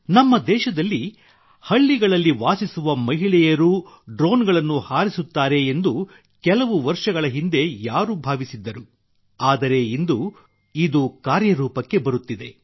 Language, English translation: Kannada, Who would have thought till a few years ago that in our country, women living in villages too would fly drones